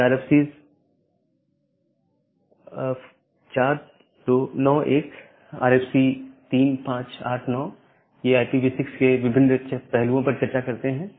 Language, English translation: Hindi, So, this RFC’s are these RFC 2460, RFC 4291 and RFC 3587, this discuss about a various aspects of the IPv6 in details